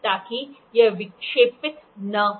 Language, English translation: Hindi, So, that it does not deflect